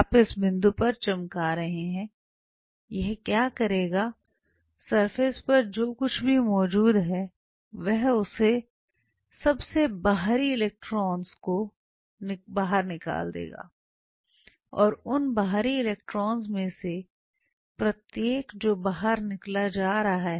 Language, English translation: Hindi, now you shine emerging beam out here, do not worry about it what you are shining at this point what this will do is on the surface whatever is present it will eject out the outermost electrons and each one of those outermost electrons which are being ejected out